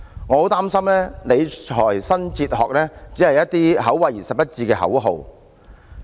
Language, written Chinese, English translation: Cantonese, 我很擔心，理財新哲學只是一些口惠而實不至的口號。, I am very worried that the new fiscal philosophy is merely a lip service